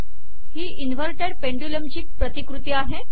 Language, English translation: Marathi, This is a model of an inverted pendulum